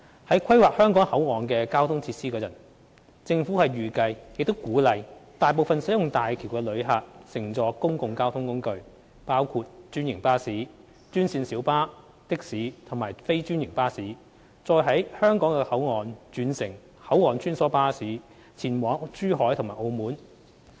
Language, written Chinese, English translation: Cantonese, 在規劃香港口岸的交通設施時，政府預計亦鼓勵大部分使用大橋的旅客乘坐公共交通工具，包括專營巴士、專線小巴、的士及非專營巴士，再於香港口岸轉乘口岸穿梭巴士前往珠海及澳門。, In the course of planning the transport facilities at the Hong Kong Port the Government expected and encouraged the majority of the travellers to use public transport including franchised bus green minibus taxi and non - franchised bus and then take cross - boundary shuttle bus at the Hong Kong Port to travel to Zhuhai and Macao via HZMB